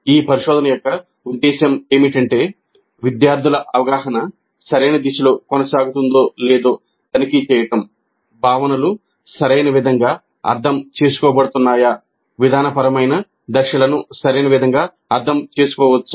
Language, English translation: Telugu, The purpose of this probing is to check whether the understanding of the students is proceeding in the proper directions, whether the concepts are being understood in the proper sense, whether the procedural steps are being understood in the proper sense